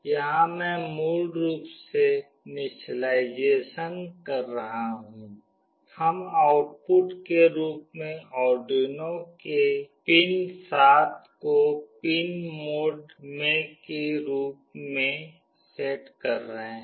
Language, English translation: Hindi, Here I am basically doing the initialization, we are setting pin mode, pin 7 of Arduino as output